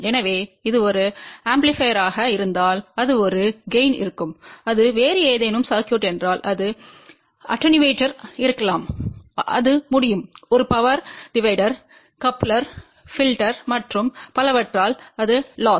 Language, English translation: Tamil, So, if it is an amplifier it will be again if it is some other circuit, it can be attenuator, it can be a power divider, coupler, filter and so on that will be then loss